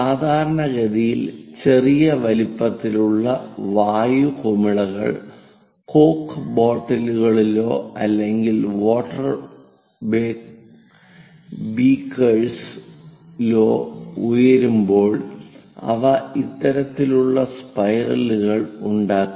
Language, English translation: Malayalam, Typically, small size air bubbles in coke bottles or perhaps in water beakers when they are rising they make this kind of spirals